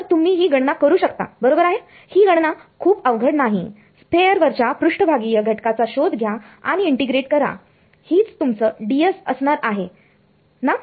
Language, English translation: Marathi, So, you can do this calculation right this is not a very difficult calculation find the surface element on a sphere and integrate this is going to be what is your ds over here